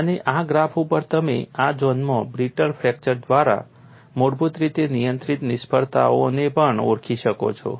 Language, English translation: Gujarati, And on this graph, you could also identified failure basically controlled by brittle fracture in this zone